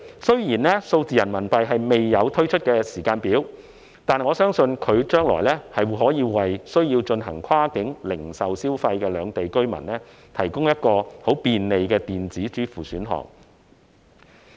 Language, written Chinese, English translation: Cantonese, 雖然數字人民幣未有推出的時間表，但我相信，數字人民幣將來可為需要進行跨境零售消費的兩地居民，提供很便利的電子支付選項。, While there is not yet a timetable for the launch of digital RMB it will certainly offer an additional electronic payment option to those in Hong Kong and the Mainland who need to make cross - boundary consumption